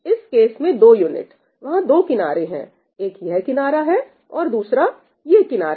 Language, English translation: Hindi, In this case 2 units, there are 2 edges, right one is this edge and the other is this edge